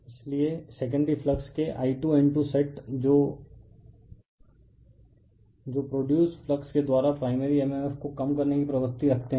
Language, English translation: Hindi, So, your I 2 N 2 sets of a secondary flux that tends to reduce the flux produced by the primary mmf